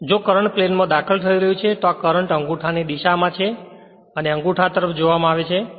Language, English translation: Gujarati, So, if the current is entering into the plane that this is the direction of the current thumb looked at by thumb